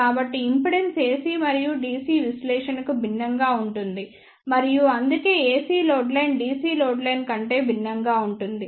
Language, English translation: Telugu, So, the impedance seen is different for the AC and DC analysis, and that is why the AC load line will be different than the DC load line